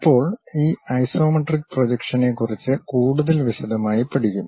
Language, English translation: Malayalam, Now, we will learn more about this isometric projection in detail